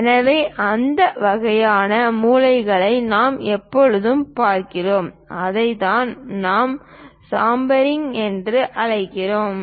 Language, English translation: Tamil, So, that kind of corners we always see, that is what we call chamfering